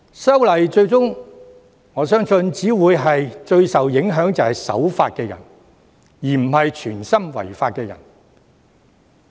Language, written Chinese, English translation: Cantonese, 因此，我相信修訂《條例》最終只會影響守法的人，而非有心違法的人。, Therefore I believe at the end of the day the amendments to the Ordinance will only affect law - abiding people but not those who wilfully break the law